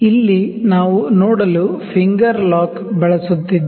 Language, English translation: Kannada, See we are using, here we using the finger lock to see